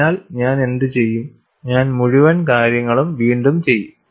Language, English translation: Malayalam, So, what I will do is, I will just redo the whole thing